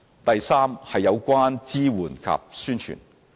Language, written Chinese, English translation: Cantonese, 第三，有關支援及宣傳。, The third concern is about support and publicity